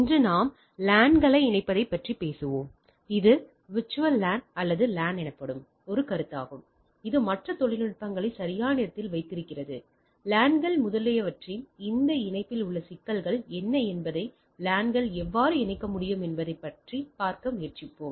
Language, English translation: Tamil, Today we will be talking something on connecting LANs and a concept called virtual LAN or VLAN this is keeping that other technologies in place, we will try to see that how LANs can be connected whether the what are the issues into this connection of the LANs etcetera right